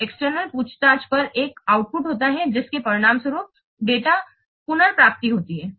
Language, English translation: Hindi, So an external inquiry is an output that results in data retrieval